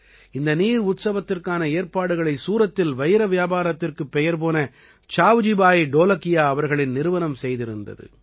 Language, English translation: Tamil, This water festival was organized by the foundation of SavjibhaiDholakia, who made a name for himself in the diamond business of Surat